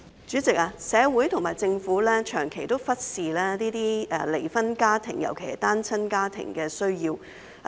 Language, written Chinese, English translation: Cantonese, 主席，社會和政府長期忽視這些離婚家庭，尤其是單親家庭的需要。, President society and the Government have long ignored the needs of these divorced families particularly single - parent families